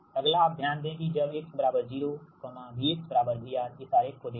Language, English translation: Hindi, next is now note that when x is equal to zero v, x is equal to v r